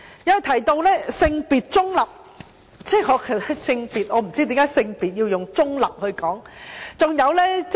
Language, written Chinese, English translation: Cantonese, 他提到"性別中立"，我不知道為何性別要用中立來形容。, He mentioned gender - neutral . I have no idea why gender is described as neutral